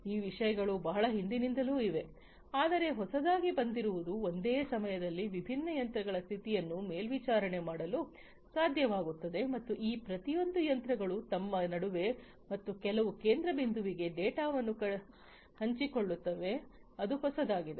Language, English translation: Kannada, So, those things have been there since long, but what has been what has come up to be new is to be able to monitor the condition of different machines at the same time and having each of these machines share the data between themselves and to some central point is something that is newer